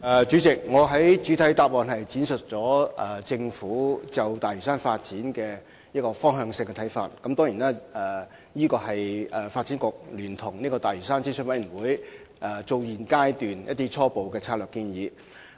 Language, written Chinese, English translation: Cantonese, 主席，我在主體答覆闡述了政府就大嶼山發展的方向性看法，當然，這也是發展局和大嶼山發展諮詢委員會在現階段的初步策略性建議。, President I have elaborated in the main reply the Governments views on the direction for Lantau development . Certainly they also represent the preliminary development strategy put forward by the Development Bureau and the Lantau Development Advisory Committee at the present stage